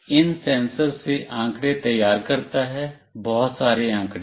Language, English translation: Hindi, It generates data from these sensors, a lot of data